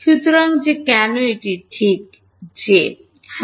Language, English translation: Bengali, So, that is why it is just j yeah